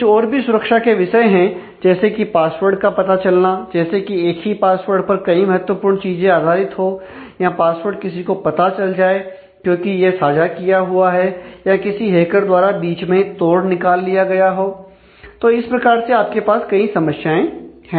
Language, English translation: Hindi, So, here I have just briefly highlighted some of those issues, there are other security issues like, leakage of password if there are important things which are based on a single password then, use the password gets compromised because, it is shared or it is broken in a middle by some hacker and so on then, you will have a lot of risks involved